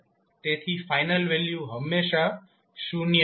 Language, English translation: Gujarati, So final value will always be zero